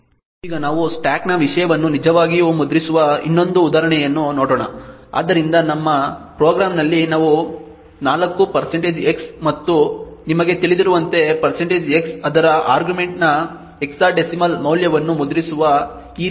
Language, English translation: Kannada, actually print the content of the stack, so let us say that in our program we have printf like this which 4 % x and as you know % x prints the hexadecimal value of its argument